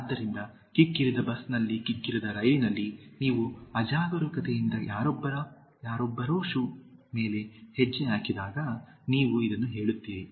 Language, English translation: Kannada, So, in crowded bus, in crowded train, lift, so, when you inadvertently step on somebody shoes, you say this